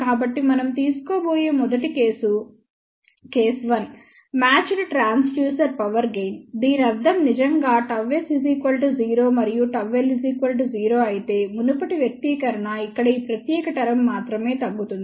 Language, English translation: Telugu, So, the first case which we are going to take is a case one; matched transducer power gain, what this really means that if gamma s is equal to 0 and gamma L is equal to 0, then the previous expression reduces to this particular term only over here